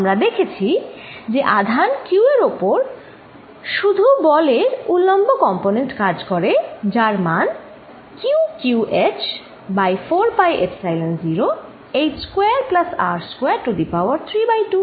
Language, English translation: Bengali, In the previous example, what we saw is that the force on the charge is in the vertical direction, it is magnitude is given by Q q over 4 pi epsilon 0 h over h square plus R square raise to 3 by 2